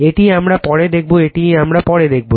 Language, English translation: Bengali, This we will see later this we will see later right